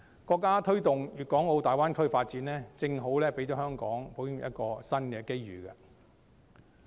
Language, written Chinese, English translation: Cantonese, 國家推動大灣區發展，正好讓香港保險業有一個新機遇。, The States push for the development of the Greater Bay Area has created a new opportunity for the insurance industry of Hong Kong